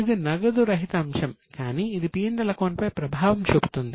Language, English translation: Telugu, It is a non cash item but it will have impact on P&L